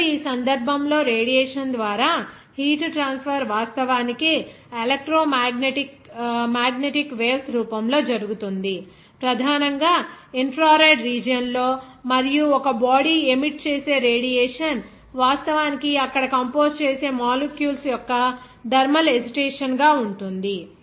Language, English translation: Telugu, Now, in this case the heat transfer through radiation takes place in the form of actually electromagnetic waves, mainly in the infrared region and radiation emitted by a body is actually the result of thermal agitation of its composing molecules there